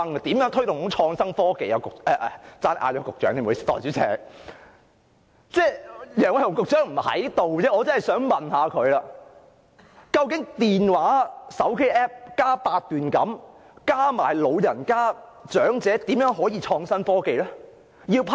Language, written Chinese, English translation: Cantonese, 代理主席，可惜楊偉雄局長不在席，否則我真的想問他，究竟手機 App 加八段錦再加長者，是怎樣的創新科技呢？, Deputy Chairman it is too bad that Secretary Nicholas Yang is not present otherwise I would really want to ask him what type of innovation and technology we will have by lumping together smartphone app Baduanjin and the elderly